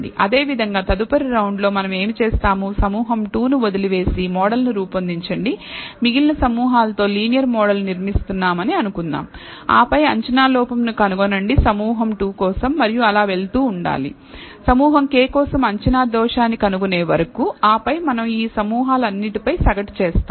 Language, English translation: Telugu, Similarly in the next round, what we will do is leave group 2 out, build the model let us say the linear model that we are building with the remaining groups and then find the prediction error for group 2 and so on, so forth, until we find the prediction error for group k and then we average over all these groups